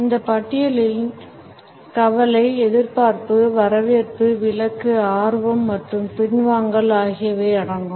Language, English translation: Tamil, And the list includes anxiety, anticipation, welcome, exclusion, interest as well as retreat